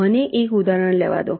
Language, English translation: Gujarati, let me taken example